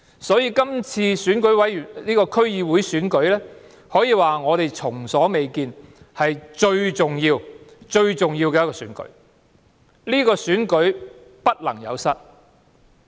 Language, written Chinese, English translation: Cantonese, 所以，今次區議會選舉是前所未見最重要的選舉，不能有失。, Therefore this District Council Election is by far the most important election and we cannot miss it